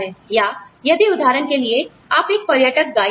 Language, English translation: Hindi, Or, if you are a tourist guide, for example